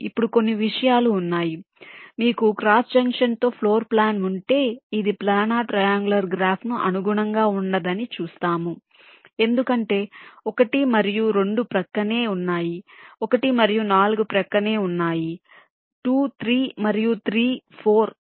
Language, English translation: Telugu, if you have a floor plan with a cross junction see, this will not correspond to a planer triangular graph because one and two, an adjacent one and four are adjacent, two, three and three, four